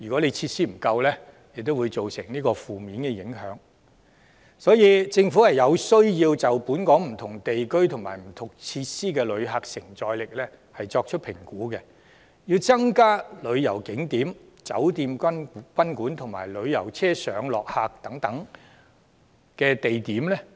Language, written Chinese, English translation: Cantonese, 有鑒於此，政府實在有需要就本港不同地區及設施的旅客承載力作出評估，並增加旅遊景點、酒店及賓館，以及旅遊車上落客地點等的相關設施。, Such being the case there is indeed a need for the Government to assess the capacity and facilities for tourism in various districts of Hong Kong and provide more tourist attractions hotels guesthouses and ancillary facilities such as pick - up and drop - off areas for coaches